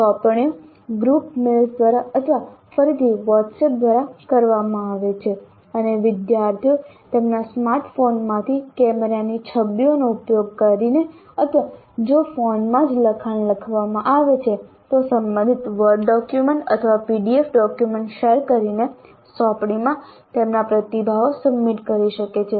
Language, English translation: Gujarati, The assignment is communicated through group mails or through WhatsApp again and the students can submit their responses to the assignments using either camera images from their smartphones or if it's a text that is typed in the phone itself directly by sharing the relevant word document or a PDF document